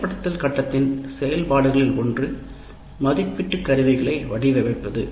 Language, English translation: Tamil, Now come in the implement phase, one of the activities is designing assessment instruments